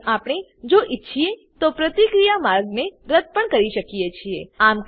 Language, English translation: Gujarati, We can also remove the reaction pathway, if we want to